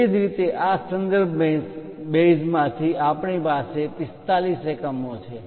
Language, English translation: Gujarati, Similarly, from this reference base we have it 45 units